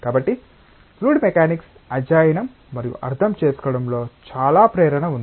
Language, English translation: Telugu, So, there is a lot of motivation in studying and understanding fluid mechanics